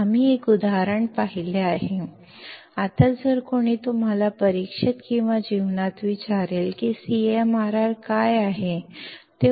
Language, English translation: Marathi, We have seen an example; now if somebody asks you in an exam or in a viva; that what should the CMRR be